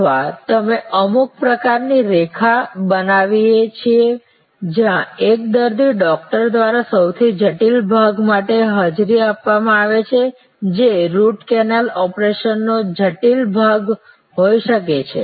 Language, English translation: Gujarati, Or we create some kind of an process line, where while one patient is being attended by the doctor for the most critical part, which may be the intricate part of the root canal operation